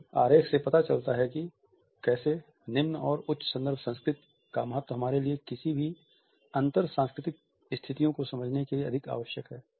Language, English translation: Hindi, This diagram suggests how the significance of low and high context culture is important for us to understand in any intercultural situations